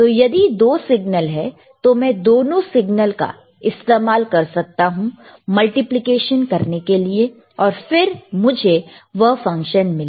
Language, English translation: Hindi, ifIf there are 2 signals, I can use 2 signals to multiply, and I can get that function